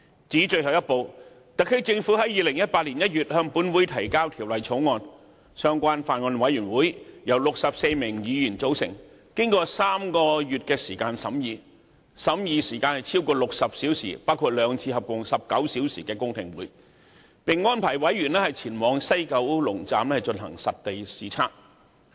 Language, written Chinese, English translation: Cantonese, 至於最後一步，特區政府在2018年1月向本會提交《條例草案》，相關法案委員會由64名議員組成，進行了3個月的審議，審議時間超過60小時，包括兩次合共19小時的公聽會，並安排委員前往西九龍站進行實地視察。, As for the final step the SAR Government introduced the Bill to the Legislative Council in January 2018 . Comprising 64 Members the relevant Bills Committee conducted a 3 - month scrutiny totalling over 60 hours of the Bill including two public hearings lasting 19 hours in total and organized site visits to WKS for members